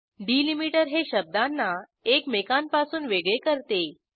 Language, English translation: Marathi, A delimiter separates words from each other